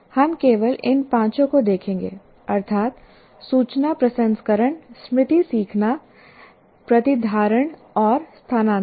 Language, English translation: Hindi, We'll only look at these five, namely information processing, memory, learning, retention, and transfer